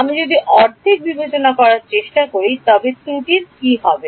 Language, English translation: Bengali, If I half the discretization, what happens to the error